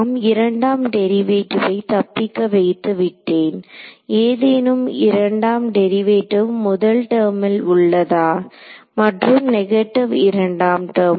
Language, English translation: Tamil, So, have I escaped the second derivative, is there any first second derivative in the first term negative second term is there